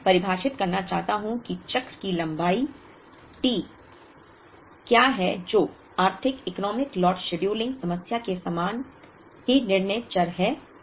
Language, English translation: Hindi, Now, I want to define what is the cycle length T which is a same decision variable as in the Economic Lot scheduling problem